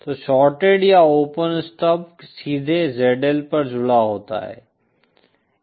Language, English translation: Hindi, So shorted or open stub is connected directly at the Z L